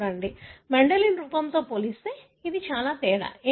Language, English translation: Telugu, So, what is so different, as compared to the Mendelian form